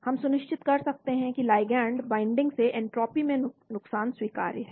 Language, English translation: Hindi, We ensure that the loss of entropy upon ligand binding is acceptable